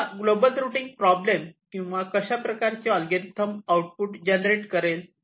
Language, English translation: Marathi, so what does this global routing problem or algorithm generates as output